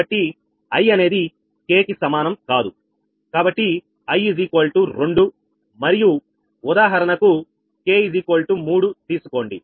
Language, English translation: Telugu, say i is equal to two and say, for example, k is equal to three